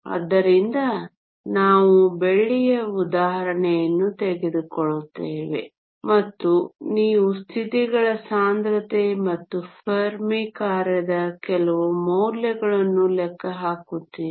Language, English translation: Kannada, So, will take the example of silver and you will calculate the density of the states and also some values of the Fermi function